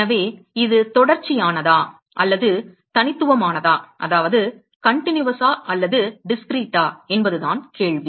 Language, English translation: Tamil, So, the question is whether it is continuous or discrete